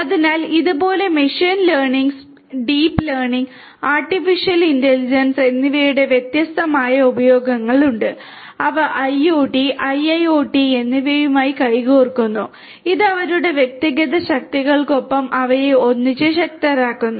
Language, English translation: Malayalam, So, like this, there are many many different utility of machine learning, deep learning, and artificial intelligence and they are handshaking with IoT and IIoT, which make them powerful together in addition to having their individual strengths